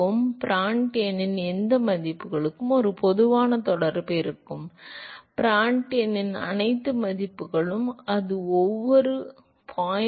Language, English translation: Tamil, So, for any values of Prandtl number, a general correlation would be; all values of Prandtl number, and that would be every 0